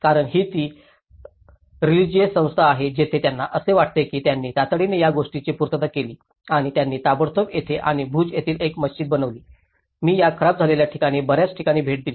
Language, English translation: Marathi, Because that is the religious entity where they feel so that is how they immediately retrofitted this and they immediately made a mosque here and in Bhuj, I visited to many places of these damaged areas